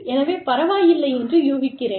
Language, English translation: Tamil, So, i am guessing, it is okay